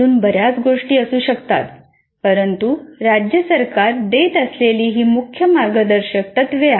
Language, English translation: Marathi, There may be many more, but these are the main guidelines that the state government gives